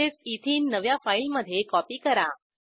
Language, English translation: Marathi, Likewise copy Ethene into a new file